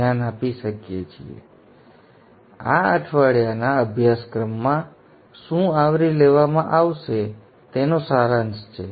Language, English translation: Gujarati, So this is in essence a summary of what will be covered in this week's course